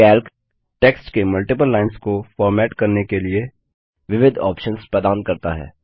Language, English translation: Hindi, Calc provides various options for formatting multiple lines of text